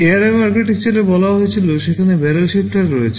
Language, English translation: Bengali, You recall in the architecture I told in ARM there is a barrel shifter